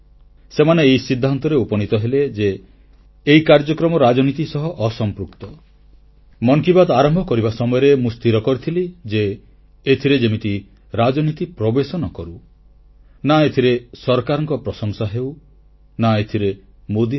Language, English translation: Odia, When 'Mann Ki Baat' commenced, I had firmly decided that it would carry nothing political, or any praise for the Government, nor Modi for that matter anywhere